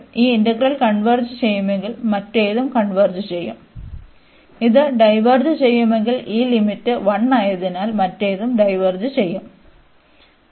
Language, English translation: Malayalam, If this integral of converges, the other one will also converge; if this diverges, other one will also diverge because of this limit is one here